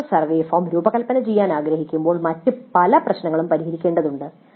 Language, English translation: Malayalam, The actual survey form when we want to design, many other issues need to be resolved